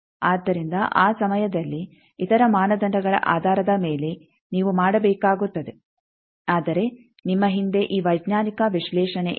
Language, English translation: Kannada, So, that time based on other criteria you will have to do, but you have this scientific analysis behind you